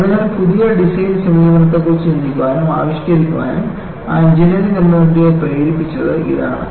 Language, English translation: Malayalam, So, this is what made that engineering community to think and evolve new design approaches